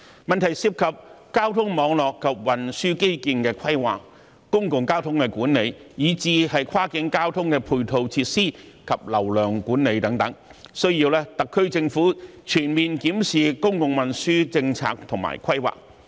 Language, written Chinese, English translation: Cantonese, 問題涉及交通網絡及運輸基建的規劃、公共交通管理，以至跨境交通的配套設施及流量管理等，需要特區政府全面檢視公共運輸政策和規劃。, The issue involves the planning of transport networks and infrastructure public transport management as well as the supporting facilities and flow management for cross - border transport . The SAR Government needs to review comprehensively its policies and plans on public transport